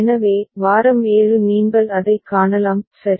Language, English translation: Tamil, So, week 7 you can see it, right